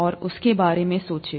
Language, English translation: Hindi, And think about that